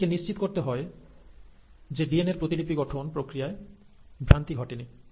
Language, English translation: Bengali, It has to make sure that there has been no errors incorporated due to the process of DNA replication